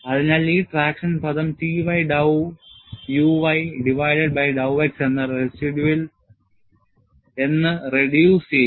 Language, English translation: Malayalam, So, even this traction term reduces to only T y dow u y divided by dow x